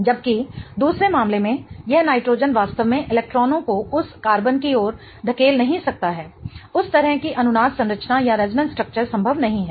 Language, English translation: Hindi, Whereas in the other case, this nitrogen cannot really push electrons towards that carbon, that kind of resonance structure is not possible